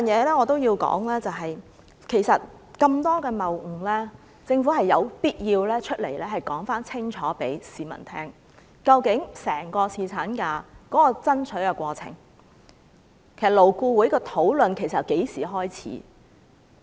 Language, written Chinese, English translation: Cantonese, 另外，我也要說說，其實有那麼多謬誤，政府有必要清楚告訴市民，究竟爭取侍產假的整個過程是怎樣的，勞顧會的討論其實由何時開始。, There is another point I have to raise . Given so many misunderstandings the Government must clearly inform the public of the chronology of our fight for paternity leave and the relevant discussion at LAB